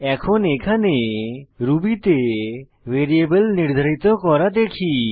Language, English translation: Bengali, Now let us see how to declare a variable in Ruby